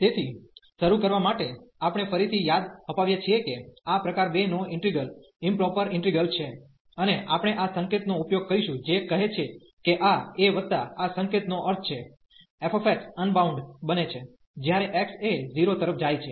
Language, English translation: Gujarati, So, to start with so we have again to remind we have this type 2 integrals the improper integral, and we will be using this notation which says that this a plus this notation means, this f x becomes unbounded, when x goes to a